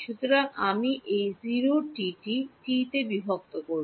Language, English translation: Bengali, So, I will split this 0 to t will become a